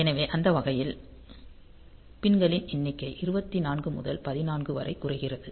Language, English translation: Tamil, So, that way the number of pins reduce from 24 to 16